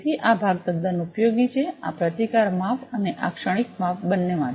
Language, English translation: Gujarati, So, this part is quite useful, both this resistance measurement and this transient measurement